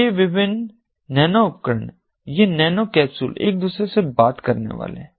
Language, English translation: Hindi, these different nano devices, these nano capsules are going to talk to each other